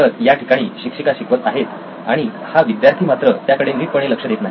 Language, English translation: Marathi, So, the teacher is teaching and this guy is not paying attention